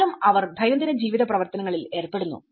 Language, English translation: Malayalam, They are prone to the daily life activities